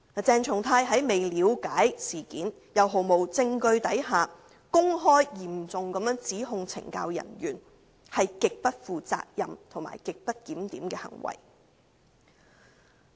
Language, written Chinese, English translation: Cantonese, 鄭松泰議員在未了解事件及毫無證據的情況下公開嚴重指控懲教人員，是極不負責任和極不檢點的行為。, Without looking into the incident and presenting no evidence Dr CHENG Chung - tai openly made a serious accusation of the CSD officers . It was extremely irresponsible and grossly disorderly conduct